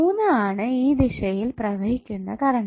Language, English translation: Malayalam, Third is the current which is flowing in this direction